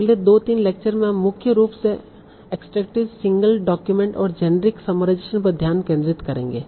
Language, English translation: Hindi, So in our next two three lectures we will mainly focus on extractive single document and generic summarization